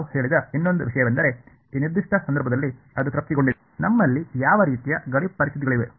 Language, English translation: Kannada, The other thing that we said is that it satisfied in this particular case, what kind of boundary conditions that we have